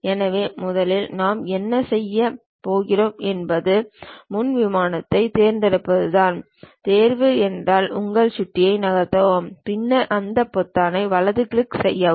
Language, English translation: Tamil, So, first thing what we are going to do is pick the front plane; pick means just move your mouse, then give a right click of that button